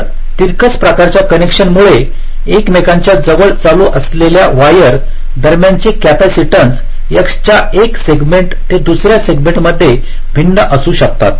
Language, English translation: Marathi, so because of the slanted kind of connection, the capacitance between the wires which are running closer to each other will be varying from one segment of the x to other